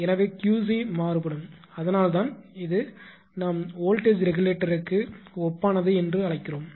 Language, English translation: Tamil, So, QC also will varying that is why it is analogous to to some extent that is we call it is analogous to voltage regulator right